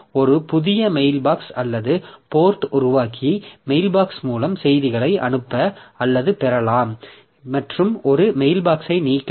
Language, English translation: Tamil, So, operations that we have, so create a new mailbox or port, send or receive messages through mailbox and delete a mailbox